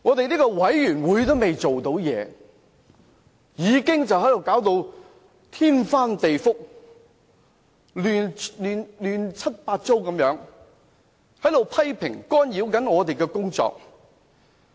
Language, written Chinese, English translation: Cantonese, 專責委員會尚未正式工作，反對派議員已經搞到天翻地覆、亂七八糟，引來各方批評，干擾專責委員會的工作。, Before the Select Committee formally starts to operate certain opposition Member had already caused a great mess that attracted criticisms from all sides and obstructed the work of the Select Committee